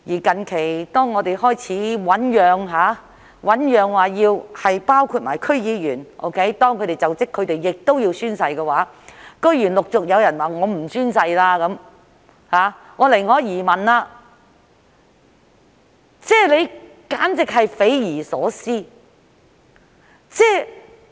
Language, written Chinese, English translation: Cantonese, 近期，當政府開始醞釀把宣誓的規定涵蓋區議員，規定他們須進行就職宣誓時，居然陸續有區議員表示不會宣誓，寧可移民，這簡直是匪夷所思。, Recently when the Government started to suggest extending the oath - taking requirements to District Council members requiring them to take an oath when assuming office it is surprising that District Council members successively indicated that they would rather emigrate than take the oath . This is unimaginable